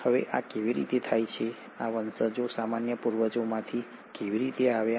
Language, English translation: Gujarati, Now how does this happen, how did these descendants came from a common ancestor